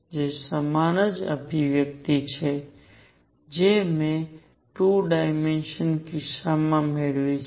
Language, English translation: Gujarati, Which is exactly the same expression as I have obtained in 2 dimensional case